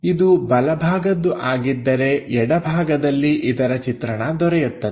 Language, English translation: Kannada, If it is from right side, on to left side we will have a view there